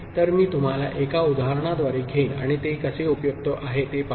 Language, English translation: Marathi, So, I shall take you through an example and see how it is useful